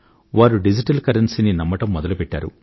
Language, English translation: Telugu, It has begun adopting digital currency